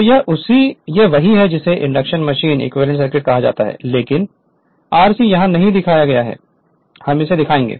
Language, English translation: Hindi, So, this is your what you call induction machine equivalent circuit, but r c is not shown here we will show it